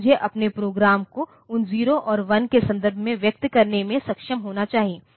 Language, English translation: Hindi, So, I should be able to express my program in terms of those zeros and ones